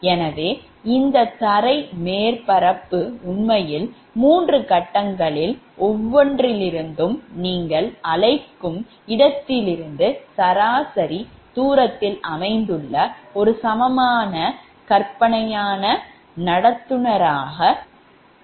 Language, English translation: Tamil, so this ground surface actually is approximated as an equivalent fictitious conductor, located an average distance right from your, what you call from each of the three phase